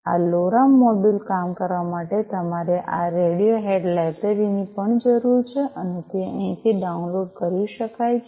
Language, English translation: Gujarati, You also need this Radiohead library for this LoRa module to work and these can be downloaded from here